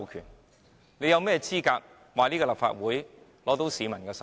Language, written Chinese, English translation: Cantonese, 但政府有甚麼資格說立法會得到市民授權？, But in what position can the Government claim that the Legislative Council has the peoples mandate?